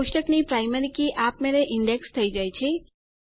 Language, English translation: Gujarati, The primary key of a table is automatically indexed